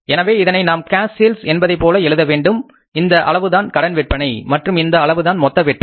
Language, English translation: Tamil, So we had to put it like cash sales this much, credit sales this much and total sales are this much